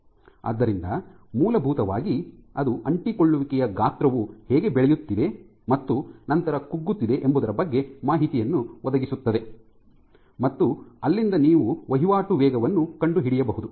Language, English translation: Kannada, So, in essence that would provide information as to how the adhesion size is growing and then shrinking and from there you can find out the turnover rate